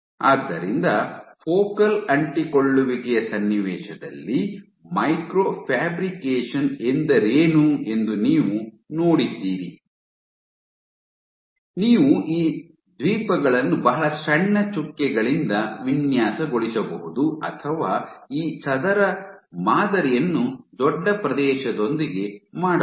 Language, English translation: Kannada, So, you have seen what is micro fabrication earlier in the context of focal adhesions you can pattern these islands either with very small dots or you can have let us say, you can make this square pattern with bigger area